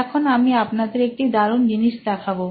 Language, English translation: Bengali, I will show you a cool thing in this